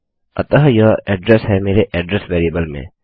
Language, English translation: Hindi, So This is the address in my address variable